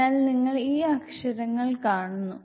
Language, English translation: Malayalam, So you see these letters